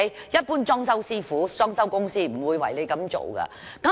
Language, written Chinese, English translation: Cantonese, 一般裝修公司、裝修師傅不會為客戶這樣做。, The fitting - out workers of decoration companies in general will not do such works for the clients